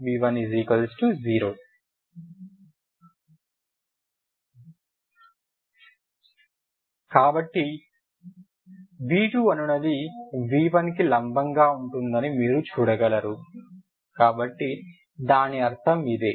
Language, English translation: Telugu, So you see that v2 is perpendicular to orthogonal means perpendicular to v1 so that is what is meaning